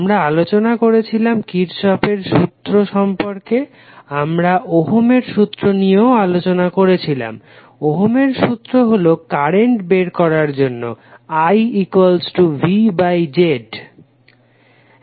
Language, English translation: Bengali, We discussed about the Kirchhoff’s law, we also discussed Ohm’s law, Ohm’s law is nothing but the finding out current I that is V by Z